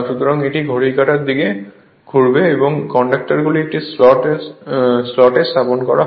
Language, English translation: Bengali, So, it will rotate in the clockwise direction and this conductors are placed in a slots